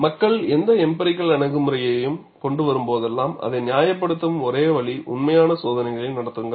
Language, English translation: Tamil, See, whenever people bring in any empirical approaches, the only way you can justify it is, conduct actual tests; and see whether your test results follow this pattern